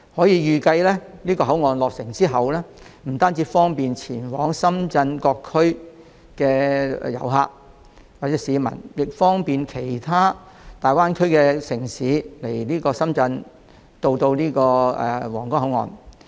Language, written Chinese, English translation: Cantonese, 預計口岸落成後將不單可方便前往深圳市各區的遊客和市民，亦可同時方便往來其他大灣區城市及皇崗口岸。, It is expected that after its completion the redeveloped Huanggang Port will not only bring convenience to tourists and passengers visiting various districts in Shenzhen but also facilitate the flow of people between other cities in the Greater Bay Area and the Huanggang Port